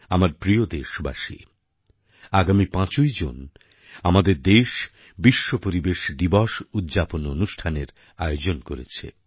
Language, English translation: Bengali, My dear countrymen, on the 5th of June, our nation, India will officially host the World Environment Day Celebrations